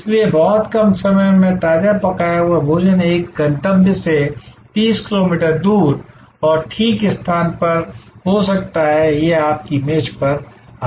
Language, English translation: Hindi, So, freshly cooked food delivered in a very short span of time from a distance may be 30 kilometers away to a destination and precisely location, it comes to your table